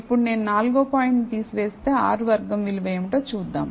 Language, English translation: Telugu, Now, let us look at what the R squared value is If I remove the fourth point